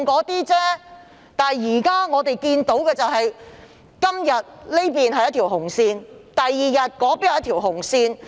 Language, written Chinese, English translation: Cantonese, 不過，我們看到今天這裏劃一條紅線，第二天那裏又劃一條紅線。, However we see a red line being drawn here today and another red line being drawn there the next day